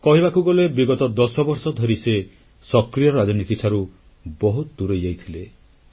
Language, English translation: Odia, In a way, he was cutoff from active politics for the last 10 years